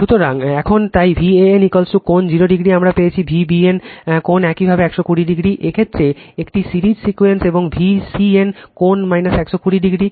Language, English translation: Bengali, So, now therefore V a n is equal to V p angle 0 degree we got, V b n angle your 120 degree for this case a series sequence and V c n is equal to V p angle minus 120 degree